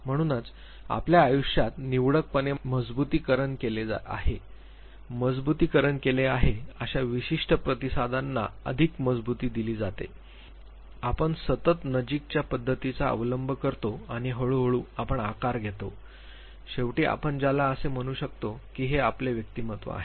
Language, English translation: Marathi, So, we have selectively reinforcements in our life certain responses are reinforced certain responses are not reinforced we follow the pattern of successive approximation and gradually we are molded we are shaped and what shape finally, we take is what you can call that this is our personality